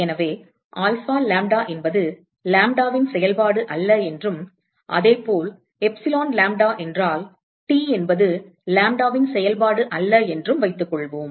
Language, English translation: Tamil, So, suppose alpha lambda is not a function of lambda, and similarly if epsilon lambda,T is not a function of lambda